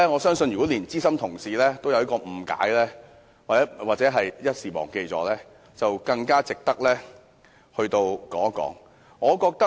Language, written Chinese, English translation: Cantonese, 如果連資深同事也有誤解，又或是一時忘記，那麼這項議案便更值得我們討論。, If even a senior colleague has misunderstood or somehow forgotten the rule the motion is even more worthy of our discussion